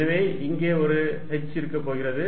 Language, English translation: Tamil, So, there is going to be 1 h out here